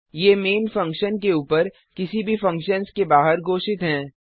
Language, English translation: Hindi, These are declared outside any functions above main() funtion